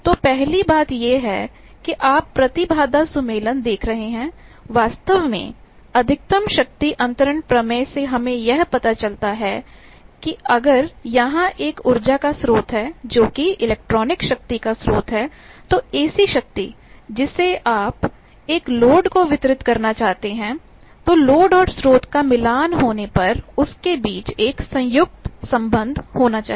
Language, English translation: Hindi, So, the first thing is you see impedance matching, actually from maximum power transfer theorem that if there is a source of energy, source of power electronic power, AC power that you want to deliver to a load then load and source should be matched there should be a conjugate relationship between them